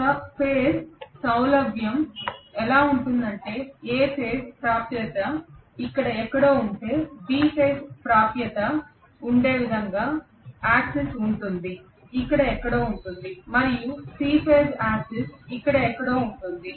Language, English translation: Telugu, But the axis will be in such a way that if A phase axis is somewhere here, B phase axis will be somewhere here and C phase axis will be somewhere here